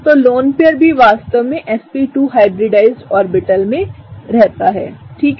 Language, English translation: Hindi, So, the lone pair also really resides in the sp2 hybridized orbital; okay; right